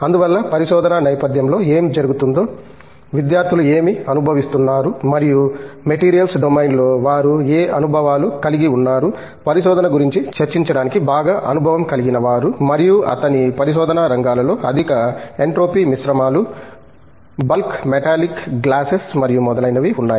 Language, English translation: Telugu, So, he is imminently qualified to discuss research and what happens in the research setting, what students undergo and what experiences they have in the materials domain and his areas of research included high entropy alloys, bulk metallic glasses and so on